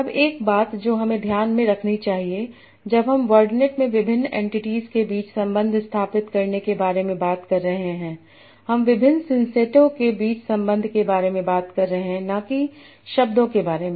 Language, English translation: Hindi, Now one thing that then that we must keep in mind when we are talking about establishing relation between different entities in word net, we are talking about relation between different sances and not the words